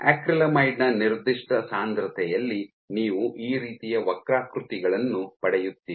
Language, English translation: Kannada, So, you would see at a given concentration of acrylamide you will get curves like this